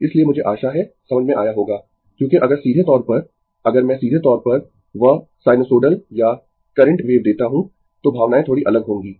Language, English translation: Hindi, So, I hope you have understood because directly if I give you directly that your sinusoidal or current wave, then feelings will be slightly different